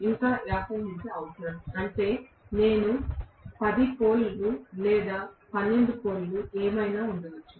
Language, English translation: Telugu, Still 50 hertz is needed, which means I will have may be 10 poles or 12 poles or whatever